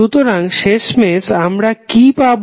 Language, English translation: Bengali, So, finally what we got